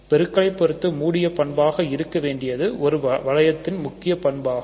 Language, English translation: Tamil, So, it is closed under multiplication which is an important property for a ring